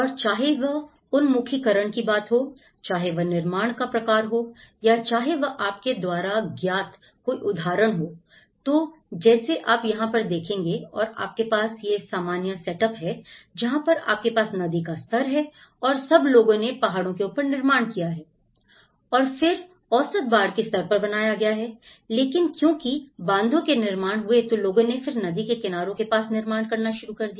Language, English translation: Hindi, And whether it is the form of orientation, whether it is the type of construction, whether it is a citing out you know, so this all for instance, here, you have these normal setup where you have the river level and all of them have built on the top, on the mountains and then the average flood level in case, it might have reached here but then because, after the construction of dams, people started construction near the riverbeds, they change